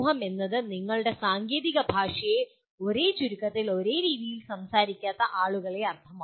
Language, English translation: Malayalam, Society at large would mean people who do not speak your technical language in the same acronym, same way